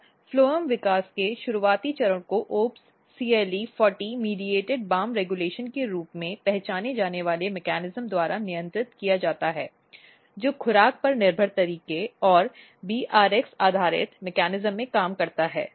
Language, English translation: Hindi, And early stage of these phloem development is regulated by these mechanism this has been identified OPS CLE40 mediated BAM regulation with this is also working in the dose dependent manner and BRX based mechanism